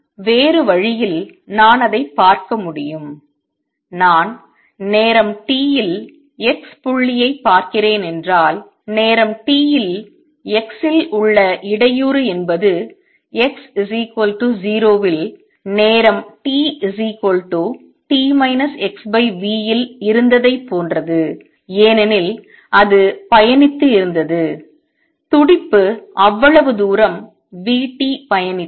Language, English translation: Tamil, Other way, I can looking at it is if I am looking at point x at time t, the disturbance at time t at x is the same as it was at x equal to 0 at time t equals t minus x over v because it has traveled the pulse has traveled that much distance v t